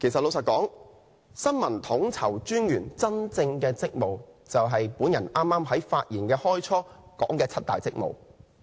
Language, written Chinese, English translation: Cantonese, 老實說，新聞統籌專員的真正職務就是我在發言之初說的七大職務。, Honestly the real duties of the Information Co - ordinator are the seven major duties mentioned by me at the beginning of my speech